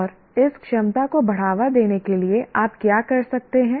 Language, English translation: Hindi, And what are the activities that you do that can promote this ability